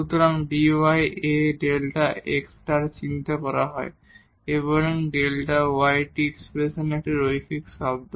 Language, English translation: Bengali, So, dy is denoted by this A times delta x those are the linear term in this expression of this delta y